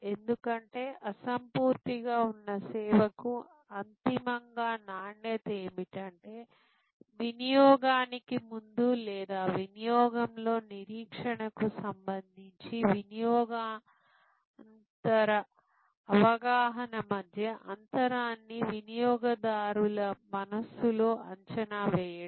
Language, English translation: Telugu, Because, ultimately quality for an intangible service is the valuation in the customers mind of the gap between the post consumption perception with respect to the pre consumption or in consumption expectation